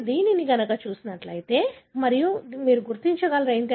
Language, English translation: Telugu, So, if you look in this and you will be able to identify